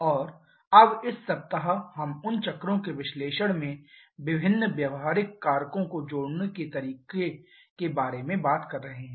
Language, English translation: Hindi, And now this week we are talking about the way we can add different practical factors into the analysis of those cycles